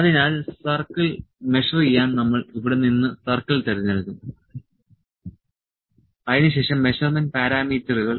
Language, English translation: Malayalam, So, to measure the circle we will select circle from here, then measurement parameters